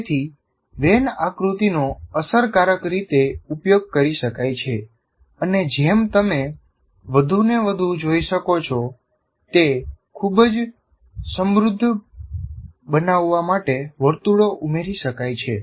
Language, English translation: Gujarati, So when diagram can be used effectively and as you can see, more and more circles can be added to make it a very rich one